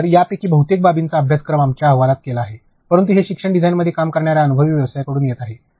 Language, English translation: Marathi, So, most of these aspects have been covered in our course ah, but this is coming from an experienced professional working in the e learning design